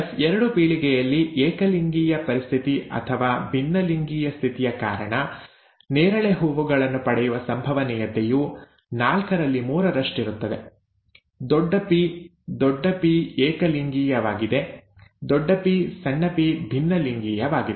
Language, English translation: Kannada, Whereas in the F2 generation, the probability of getting purple flowers is three fourth arising from either homozygous condition or heterozygous condition; capital P capital P homozygous, capital P small p in both the, both these kinds is heterozygous